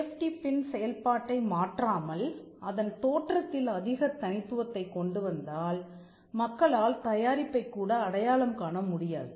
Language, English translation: Tamil, Safety pin without actually changing its function or if you make bring too much uniqueness people may not even identify the product